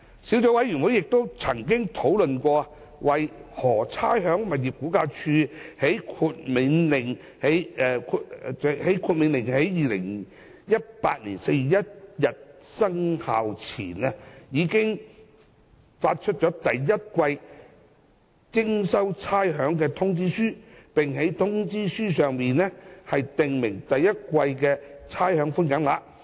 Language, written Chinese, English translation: Cantonese, 小組委員會亦曾討論，為何差餉物業估價署在《命令》於2018年4月1日生效前，已發出第一季的徵收差餉通知書，並在通知書上訂明第一季的差餉寬減額。, The Subcommittee has also discussed why the Rating and Valuation Department RVD had issued the demand notes for rates payment for the first quarter before commencement of the Order on 1 April 2018 setting out the rates concession amount for the first quarter